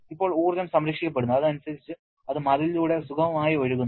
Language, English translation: Malayalam, Now, energy remains conserved and accordingly it flows smoothly through the wall